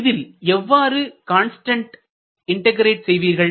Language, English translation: Tamil, How do you evaluate the constant of integration